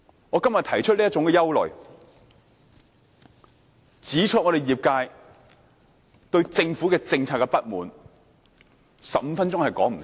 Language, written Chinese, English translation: Cantonese, 我今天提出這種憂慮，指出業界對政府政策的不滿 ，15 分鐘是不足夠的。, Fifteen minutes is not enough for me to voice out all these worries and point out the industrys dissatisfaction with the government policy today